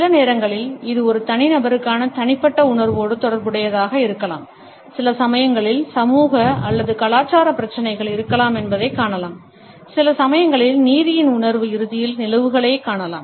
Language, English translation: Tamil, Sometimes it may be related with a personals feeling of vendetta towards an individual, sometimes we find that there may be social or cultural issues and sometimes we may find that there may be a sense of justice prevailing ultimately